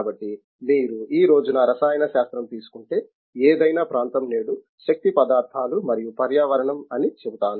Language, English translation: Telugu, So, therefore, any any area if you take today chemistry is I will say energy materials and environment